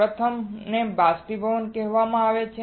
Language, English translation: Gujarati, First is called Evaporation